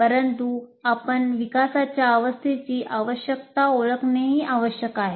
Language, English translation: Marathi, But you must recognize the requirements of development phase